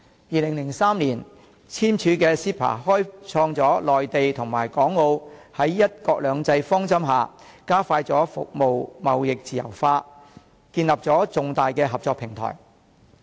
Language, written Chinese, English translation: Cantonese, 2003年簽署的 CEPA 開創了內地與港澳在"一國兩制"方針下，加快服務貿易自由化、建立重大合作平台。, The CEPA signed in 2003 provided a framework for the Mainland Hong Kong and Macao to speed up the liberalization of the service trade and establish a major collaboration platform under the guiding principle of one country two systems